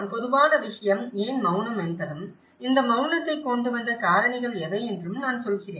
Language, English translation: Tamil, The common thing is the silence and why the silence is all about; I mean what are the factors that brought this silence